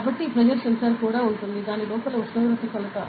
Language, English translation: Telugu, So, this pressure sensor also have, temperature measurement inside it